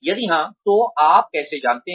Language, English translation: Hindi, If yes, how do you know